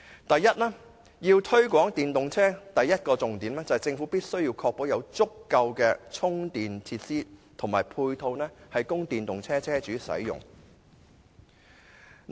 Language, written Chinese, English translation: Cantonese, 第一，推廣電動車的第一個重點，在於政府必須確保有足夠的充電及配套設施，供電動車車主使用。, Firstly the first and foremost requirement for promoting the use of electric vehicles is to ensure adequate provision of charging and ancillary facilities by the Government for use by owners of electric vehicles